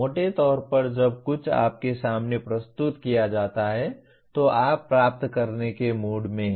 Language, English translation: Hindi, Roughly speaking, receiving means when something is presented to you, you are in a mood to, you are receiving